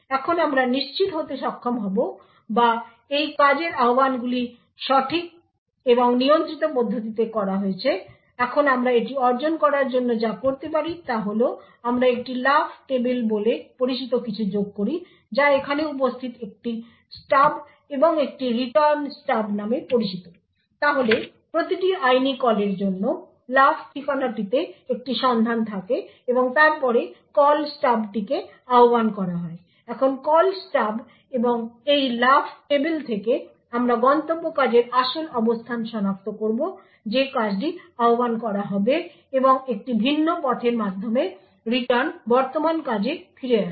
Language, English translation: Bengali, Now we should be able to ensure or that these function invocations are done in a proper and controlled manner now what we do in order to achieve this what we add something known as a jump table which is present here a called Stub and a Return Stub, so for every legal call there is a lookup in the jump address and then the Call Stub is invoked, now from the Call Stub and this jump table we would identify the actual location for the destination function that function would get invoked and through a different path the return is passed back to the present function